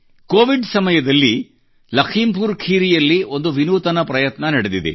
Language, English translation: Kannada, A unique initiative has taken place in LakhimpurKheri during the period of COVID itself